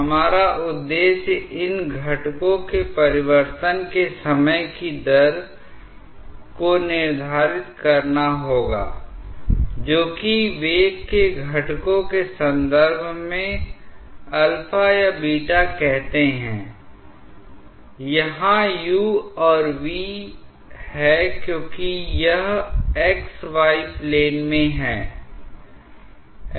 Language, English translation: Hindi, Our objective will be to quantify the time rate of change of these angles say alpha or beta in terms of the velocity components, here u and v because it is in the x, y plane